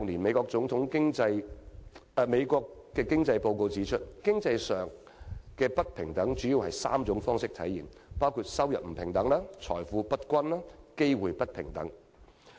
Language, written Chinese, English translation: Cantonese, 《美國總統經濟報告 ：2016 年》指出，經濟上的不平等主要以3種方式體現，即收入不平等、財富不平等，以及機會不平等。, According to the 2016 Economic Report of the President of the United States economic disparity is mainly reflected in the unequal distribution of income wealth and opportunity